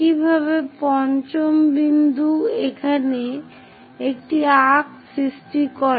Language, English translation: Bengali, Similarly, fifth point make an arc here